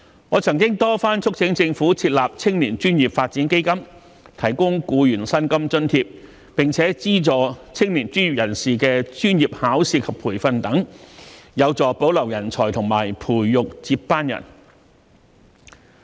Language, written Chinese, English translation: Cantonese, 我曾多番促請政府設立青年專業發展基金，提供僱員薪金津貼，並資助青年專業人士的專業考試及培訓等，有助保留人才和培育接班人。, I have repeatedly urged the Government to set up a young professionals development fund to provide employees with salary allowance and subsidize young professionals to take professional examinations and training and so on which will be conducive to retaining talents and nurturing successors